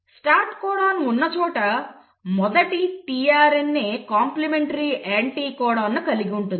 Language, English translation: Telugu, Wherever there is a start codon the first tRNA which will have the complementary anticodon